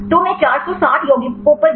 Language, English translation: Hindi, So, in the have consider 460 compounds